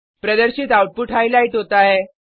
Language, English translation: Hindi, The output displayed is as highlighted